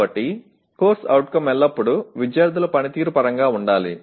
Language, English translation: Telugu, So CO always should be stated in terms of student performance